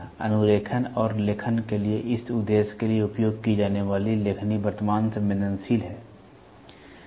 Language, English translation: Hindi, The stylus used for this purpose for tracing and writing is current sensitive